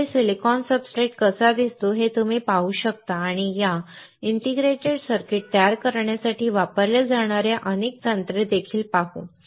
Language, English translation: Marathi, So, you can see how silicon substrate looks like and we will also see several techniques that are used to fabricate this integrated circuits